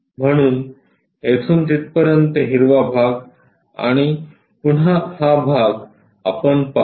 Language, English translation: Marathi, So, green portion from there to there, and again we will see this part